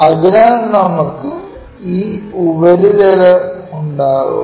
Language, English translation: Malayalam, So, we will have this surface